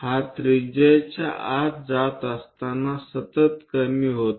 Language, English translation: Marathi, As it is going inside the radius continuously decreases